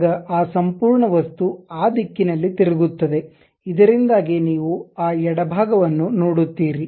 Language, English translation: Kannada, Now, that entire object is flipped in that direction, so that you will see that left one